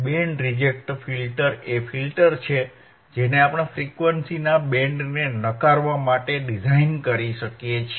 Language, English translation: Gujarati, Band reject filter is the filter that we can designed to reject the band of frequency